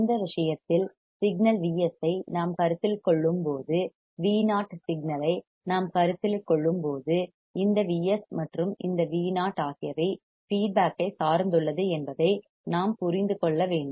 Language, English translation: Tamil, In this case, when we consider signal V s and we consider the signal V o then we have to understand that this V s and this V o are dependent on the feedback are dependent on the feedback right